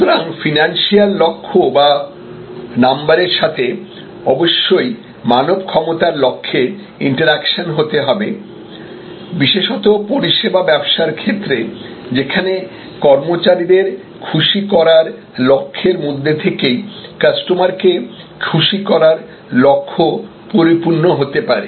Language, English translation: Bengali, So, financial goals, number oriented goals must be interactive with competence goals people and service business particularly the service employee happiness goals which will combine to lead to customer delight goals